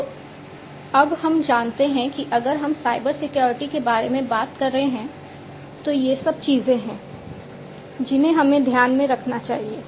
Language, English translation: Hindi, So, now we know if we are talking about Cybersecurity, Cybersecurity these are the things that we need to keep in mind